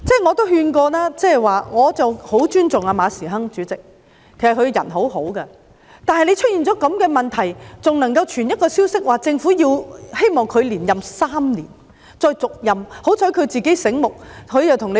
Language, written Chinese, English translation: Cantonese, 我也勸諭過我很尊重的馬時亨主席，其實他為人很好，但出現這種問題後，還傳出政府希望他再續任3年的消息。, I have also given advice to Chairman Frederick MA whom I respect very much . In fact he is a very kind - hearted person . However in addition to problems of this sort news has it that the Government intends to extend his appointment for three years